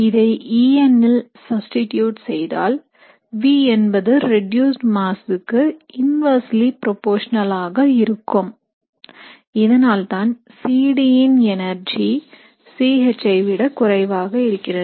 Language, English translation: Tamil, And if you substitute that and substitute it in the En, what you would see is the v would be inversely proportional to the reduced mass, which is why you would see that energy for C D would be less than C H